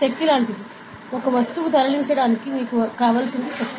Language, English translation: Telugu, Force is like; force is what do you apply on an object to move it